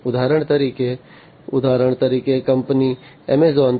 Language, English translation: Gujarati, For example, for example let us say the company Amazon